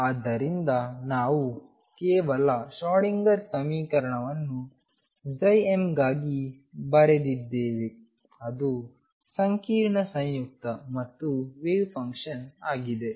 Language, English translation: Kannada, So, we have just written a Schrodinger equation for psi m for it is complex conjugate as well as the wave function itself